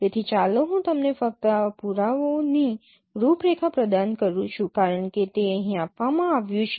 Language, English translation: Gujarati, So let me just provide you the outline of this proof as it is given here